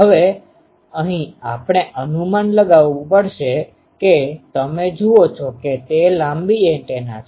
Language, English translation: Gujarati, Now, here we will have to have a gauge you see this is a long antenna